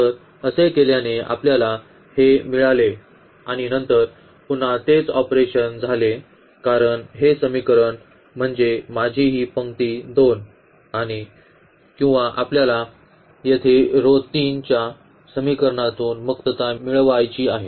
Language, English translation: Marathi, So, by doing so we got this and then the further again the same operation because this equation I mean this row 2 or we want to get rid from equation from row 3 this element 1 here